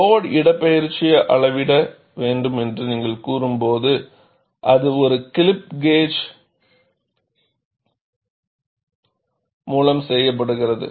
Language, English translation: Tamil, When you say you have to measure the load displacement, it is done by a clip gauge